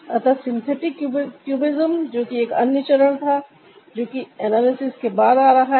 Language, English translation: Hindi, so in the synthetic cubism, that was another step, which is ah, which is ah coming after the analysis